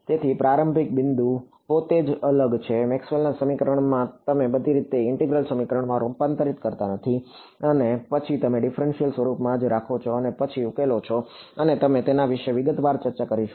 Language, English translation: Gujarati, So, the starting point itself is different, from Maxwell’s equation you do not convert all the way to an integral equation and then solve you stop at the differential form itself and then solve and we will discuss in detail about it